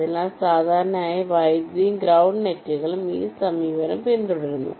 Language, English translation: Malayalam, ok, so typically the power and ground nets follow this approach